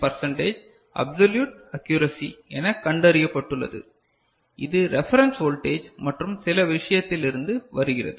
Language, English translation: Tamil, 19 percent absolute accuracy, it will be coming from the reference voltage other things